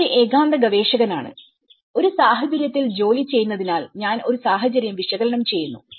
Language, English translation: Malayalam, And I am a lonely researcher, working at the situation so that is where, I looked at a situational analysis